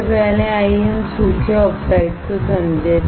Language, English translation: Hindi, First, let us understand dry oxide